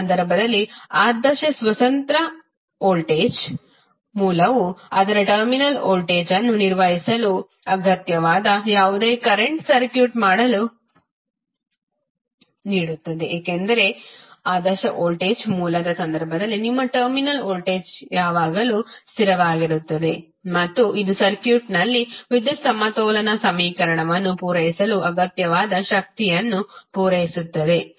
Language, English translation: Kannada, In this case the ideal independent voltage source delivers to circuit the whatever current is necessary to maintain its terminal voltage, because in case of ideal voltage source your terminal voltage will always remain constant and it will supply power which is necessary to satisfy the power balance equation in the circuit